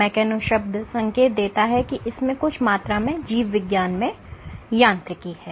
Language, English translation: Hindi, Mechano probably have indications that there is some amount of mechanics in biology